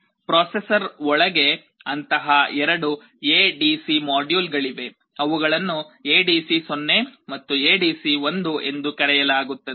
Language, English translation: Kannada, Inside the processor there are two such ADC modules, they are called ADC0 and ADC1